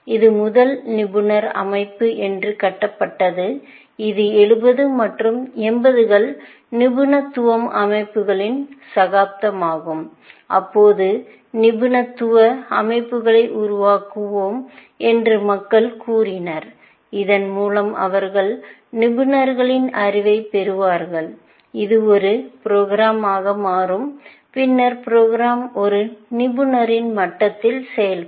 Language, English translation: Tamil, It was touted as the first expert system, which was built, and 70s and 80s was the era of expert systems where, people said that we will build expert systems, and by this, they meant that they will elicit the knowledge of experts, put it into a program, and the program will then, perform at the level of an expert